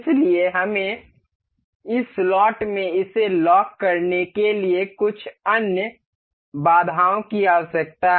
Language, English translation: Hindi, So, we need some other constraints to lock this into this, within this slot